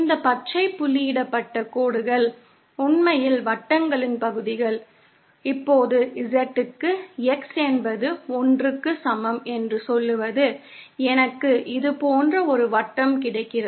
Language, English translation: Tamil, These green dotted lines are actually portions of circles, now for Z for say x is equal to 1, I get a circle like this